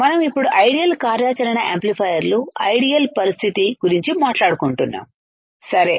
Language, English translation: Telugu, Ideal operational amplifiers we are talking about now ideal situation ok